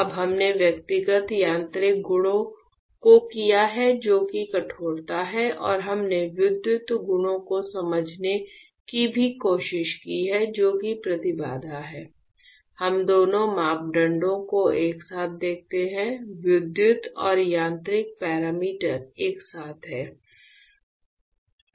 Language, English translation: Hindi, Now, we have done individual mechanical properties which is the stiffness and we have also try to understand the electrical properties which is the impedance; how about we see both the parameters together there is electrical and mechanical parameters together